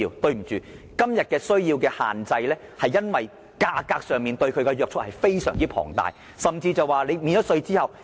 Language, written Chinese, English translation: Cantonese, 對不起，今天電動車的需求受到限制，是因為價格非常龐大，甚至免稅後，二手電動車仍然十分昂貴。, Sorry that the demand for EVs today is being restricted due to very exorbitant prices the second - hand ones are still very expensive even after tax deduction